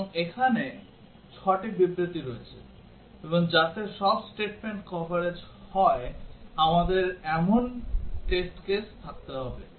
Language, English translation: Bengali, And there are 6 statements here; and we need to have the test cases which will have all the statements covered